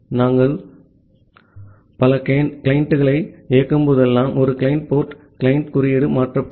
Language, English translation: Tamil, And a client port whenever we are running multiple client, the client code gets changed